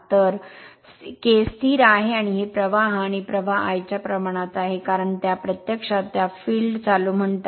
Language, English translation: Marathi, So K is the constant and this is the flux and flux proportional to the i if the your what you call that your field current